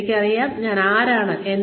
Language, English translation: Malayalam, I know, who I am